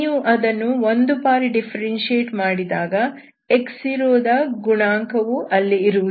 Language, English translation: Kannada, And we see, x is actually, when you differentiate once, coefficient of x power 0 will not be there